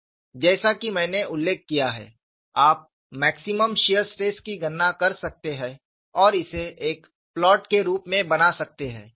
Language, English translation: Hindi, As I mentioned, you could calculate maximum shear stress and make it as a plot